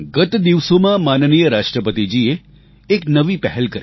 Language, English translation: Gujarati, A few days ago, Hon'ble President took an initiative